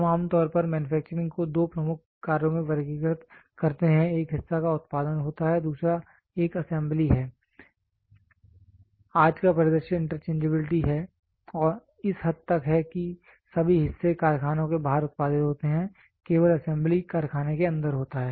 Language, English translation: Hindi, We generally classify manufacturing into 2 major operations, one is producing a part the other one is assembly, today’s scenario is interchangeability has come up to such an extent all parts are produced outside the factory only assembly happens inside the factory